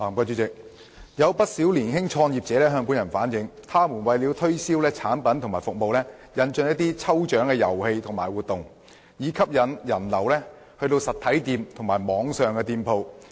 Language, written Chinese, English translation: Cantonese, 主席，有不少年輕創業者向本人反映，他們為了推銷產品和服務，引進了一些抽獎遊戲和活動，以吸引人流到訪實體或網上店鋪。, President quite a number of young entrepreneurs have relayed to me that with a view to promoting their products and services they have introduced some lucky draw games and activities so as to attract patronage to their physical or online shops